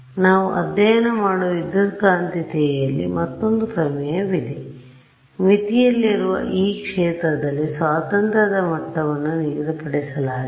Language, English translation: Kannada, There is another theorem in electromagnetics which we have not studied which says that the fields I mean the degrees of freedom in this field on the boundary is fixed